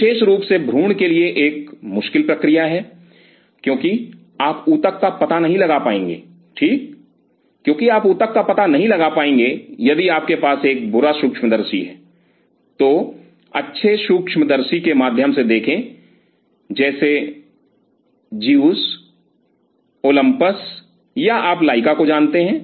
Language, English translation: Hindi, Especially for the embryo is a tricky process and do not is spoil your eyes by having a bad microscope for that purpose because it is a pain, because you would not be able to locate the tissue right if you have a bad microscope look through the good microscopes of Zeiss Olympus or you know Leica